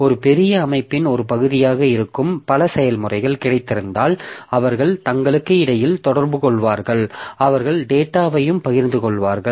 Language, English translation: Tamil, If I have got a number of processes which are part of a big system, so they will be communicating between themselves, they will share data and all